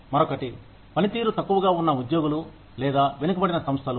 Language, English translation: Telugu, The other is, underperforming employees or laggards